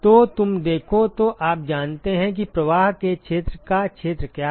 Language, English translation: Hindi, So, you look at the; so you know what is the area of area of flow